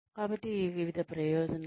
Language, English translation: Telugu, So, various benefits